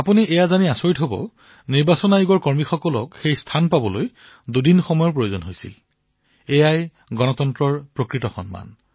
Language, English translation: Assamese, You will be amazed to know that it took a journey of two days for personnel of the Election Commission, just to reach there… this is honour to democracy at its best